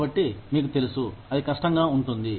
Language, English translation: Telugu, So, you know, it can be difficult